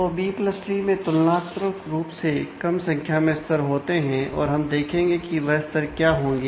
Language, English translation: Hindi, So, B + tree contains relatively small number of levels, we will see what that level would be